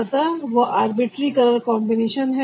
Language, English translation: Hindi, so that is the arbitrary color combination